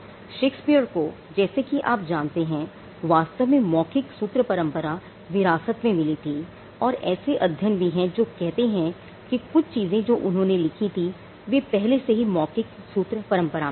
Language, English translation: Hindi, You know just before Shakespeare came in, he actually inherited from a oral formulaic tradition and there are studies which say that some of the things that he wrote were already there in the oral formulaic tradition